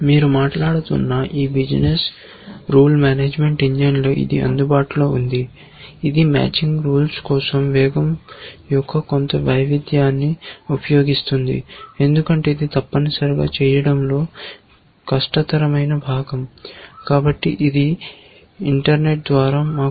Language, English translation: Telugu, It is available in any these business rule management engine you talk about, it uses some variation of rate for matching rules because it is really the hardest part of doing that essentially